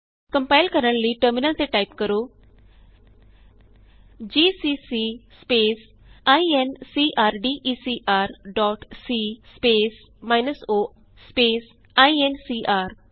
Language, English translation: Punjabi, To compile type the following on the terminal gcc space incrdecr dot c space minus o space incr